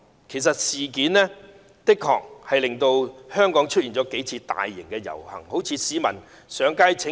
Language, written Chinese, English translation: Cantonese, 其實這件事的確令香港出現了數次大型遊行，例如很多市民上街請願。, The legislative amendment exercise did indeed lead to several large - scale processions in Hong Kong . Many citizens for example took to the streets to stage petitions